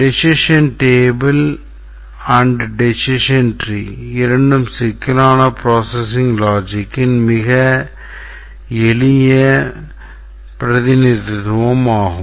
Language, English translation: Tamil, As you can see that decision decision table, decision tree are very simple representation of complex processing logic